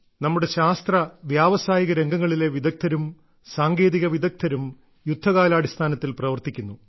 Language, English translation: Malayalam, So many of our scientists, industry experts and technicians too are working on a war footing